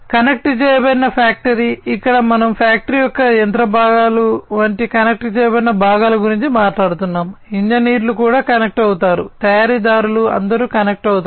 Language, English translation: Telugu, Connected factory, here we are talking about connected components of the factory such as the machinery components, engineers will also be connected manufacturers will all be connected